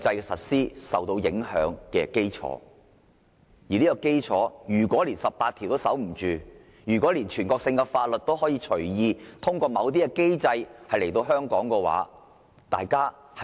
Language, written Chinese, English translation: Cantonese, 面對這衝擊，如果連《基本法》第十八條也守不住，全國性法律就可以隨意通過某些機制在香港實施。, When facing such kind of challenge if Article 18 of the Basic Law cannot be upheld national laws can be enforced in Hong Kong at will through a certain mechanism